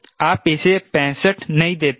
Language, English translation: Hindi, you dont give sixty five to it